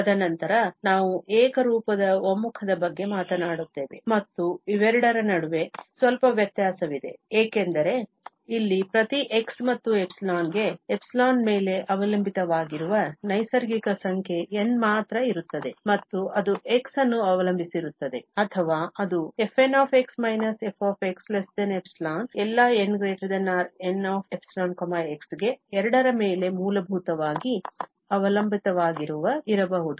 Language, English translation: Kannada, And then, we will be talking about the uniform convergence and there is a slight difference between the two because here, for each x and epsilon, there is just a natural number N which may depend on epsilon and it may depend on x or it may depend basically on both such that this difference is less than epsilon for all n greater than or equal to N(epsilon, x)